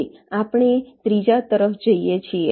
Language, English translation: Gujarati, now we move to the third